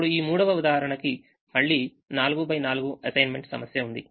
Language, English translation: Telugu, this third example again has a four by four assignment problem